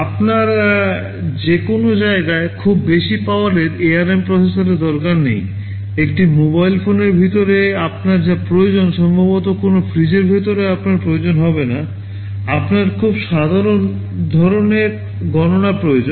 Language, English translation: Bengali, YSo, you do not need very high power ARM processors everywhere, whatever you need inside a mobile phone you will not need possibly inside a refrigerator, you need very simple kind of calculations there right